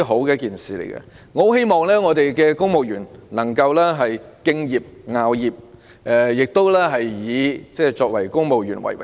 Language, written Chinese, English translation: Cantonese, 我十分希望公務員能夠敬業樂業，並以身為公務員為榮。, I strongly hope that civil servants can remain dutiful and take pride in their job as civil servants